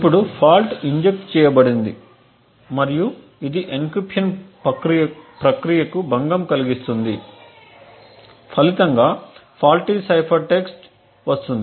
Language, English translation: Telugu, Now the fault is injected and it would disturb the encryption process resulting in a faulty cipher text